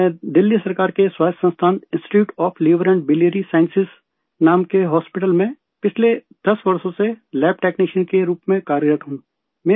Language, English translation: Urdu, I have been working as a lab technician for the last 10 years in the hospital called Institute of Liver and Biliary Sciences, an autonomus institution, under the Government of Delhi